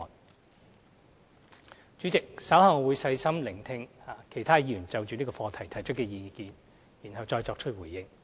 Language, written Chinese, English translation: Cantonese, 代理主席，稍後我會細心聆聽其他議員就這項課題提出的意見，然後再作出回應。, Deputy President I will listen carefully to the views expressed by other Members on this subject and respond again later